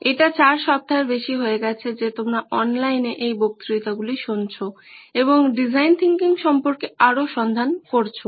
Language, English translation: Bengali, It’s been over 4 weeks that you have been listening to these lectures online and finding out more about design thinking